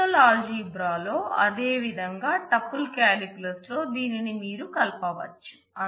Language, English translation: Telugu, You can combine this as in the relational algebra as well as in tuple calculus